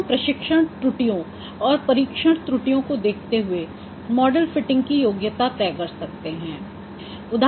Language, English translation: Hindi, Now by observing the amount of training error and test error we can also qualify your model fitting